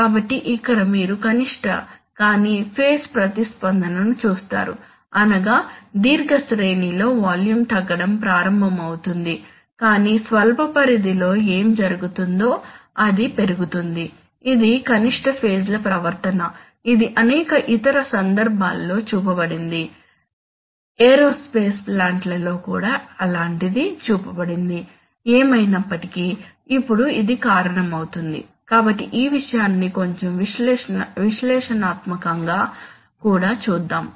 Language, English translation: Telugu, So you see that here you see a non minimum phase response, that is, in the long range the volume will should start falling but in the short range what will happen is that it will go up, this is non minimum phase behavior, this is shown in various other cases, in aerospace plants also such a thing is shown but anyway, so now what, this causes so let us look at the thing a little analytically also